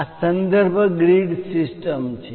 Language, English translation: Gujarati, These are the reference grid system